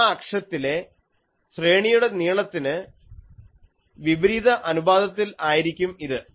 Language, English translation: Malayalam, This is inversely proportional to the array length in that axis